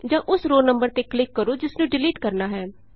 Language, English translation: Punjabi, Alternately, click on the row number to be deleted